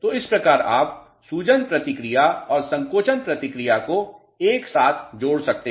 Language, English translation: Hindi, So, this is how you can interlink the swelling response and the shrinkage response together